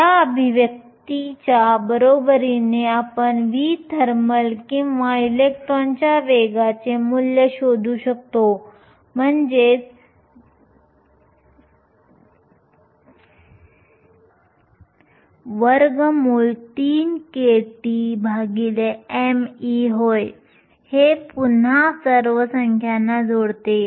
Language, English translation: Marathi, Equating this expression, we can find value for v thermal or the velocity of the electron which is nothing, but square root of three kT over m e can again plug in all the numbers